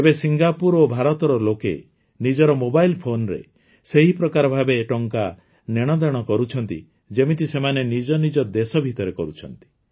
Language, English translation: Odia, Now, people of Singapore and India are transferring money from their mobile phones in the same way as they do within their respective countries